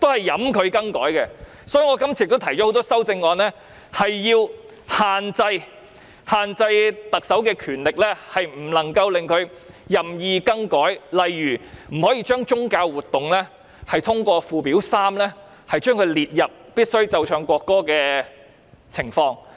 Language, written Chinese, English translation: Cantonese, 因此，我今次提出了多項修正案，要求限制特首的權力，令她不能夠任意更改，例如不能把宗教活動列入附表3開列的"須奏唱國歌的場合"。, Therefore I have proposed a number of amendments to restrict the power of the Chief Executive so that she cannot amend the law arbitrarily . For example no religious activities should be included in the list of Occasions on which National Anthem must be Played and Sung set out in Schedule 3